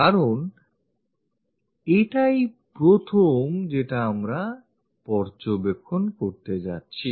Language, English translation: Bengali, Because this is the first one, what we are going to observe